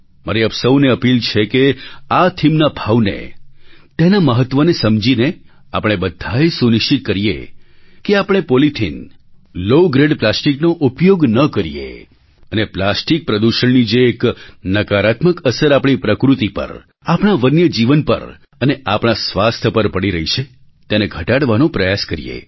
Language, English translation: Gujarati, I appeal to all of you, that while trying to understand the importance of this theme, we should all ensure that we do not use low grade polythene and low grade plastics and try to curb the negative impact of plastic pollution on our environment, on our wild life and our health